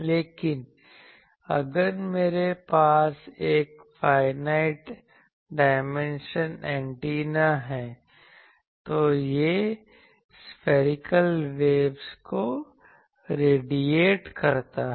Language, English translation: Hindi, But if I have a finite dimension antenna, then that radiates spherical waves